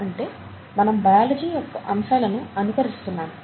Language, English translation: Telugu, So bio mimicry, we are trying to mimic biological aspects